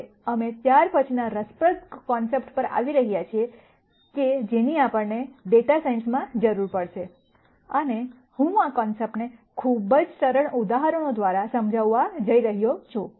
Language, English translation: Gujarati, Now, we are going to come to the next interesting concept that we would need in data science quite a bit and I am going to explain this concept through very, very simple examples